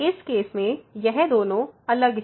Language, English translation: Hindi, So, both are different in this case